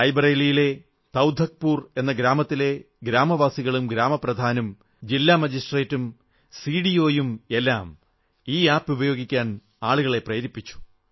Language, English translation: Malayalam, Residents of the village Taudhakpur in Rae Bareilly, village chief, District Magistrate, CDO and every one joined in to create awareness amongst the masses